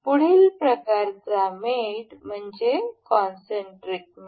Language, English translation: Marathi, The next kind of mate we can see here is concentric mate